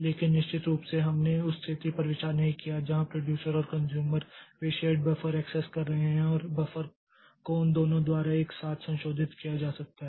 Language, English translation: Hindi, But there of course we did not consider the situation where the producer and consumer they are accessing the shared buffer and that buffer may be modified by both of them simultaneously